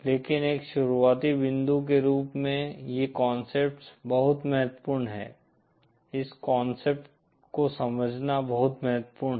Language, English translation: Hindi, But as a starting point these concepts are very, it is very important to understand, this concepts